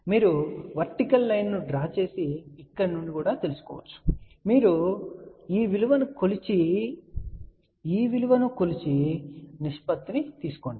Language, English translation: Telugu, So, either you can draw the vertical line, read it from here or you measure this value and measure, this value take the ratio